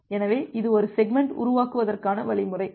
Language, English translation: Tamil, So, this is the algorithm for creating a segment